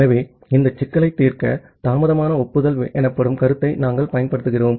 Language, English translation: Tamil, So, to solve this problem, we use the concept called delayed acknowledgement